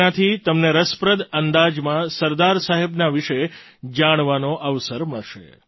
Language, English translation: Gujarati, By this you will get a chance to know of Sardar Saheb in an interesting way